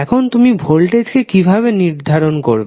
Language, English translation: Bengali, Now, how will you define the voltage